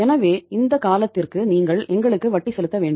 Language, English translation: Tamil, So it means you have to pay the interest to us for this much period of time